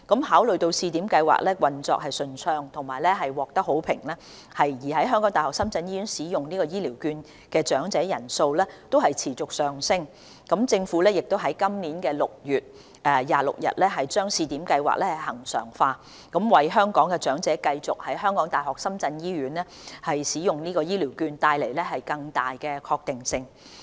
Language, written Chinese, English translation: Cantonese, 考慮到試點計劃運作暢順並獲得好評，而在港大深圳醫院使用醫療券的長者人數亦持續上升，政府已於今年6月26日將試點計劃恆常化，為香港長者繼續在港大深圳醫院使用醫療券帶來更大確定性。, In view that the Pilot Schemes operation was smooth and the feedback received was positive and that the number of elders using HCVs at HKU - SZH continued to increase the Government regularized the Pilot Scheme on 26 June 2019 to provide greater certainty for Hong Kong elders to continue to use HCVs at HKU - SZH